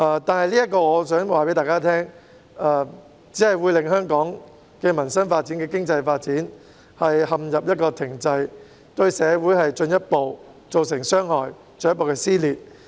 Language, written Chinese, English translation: Cantonese, 不過，我想告訴大家，這樣只會令香港的民生和經濟發展陷入停滯，對社會造成進一步的傷害，導致進一步的撕裂。, Yet I would like to tell you this will only bring peoples livelihood and the economic development of Hong Kong to a standstill hence inflicting further harms on society and further deepening the rift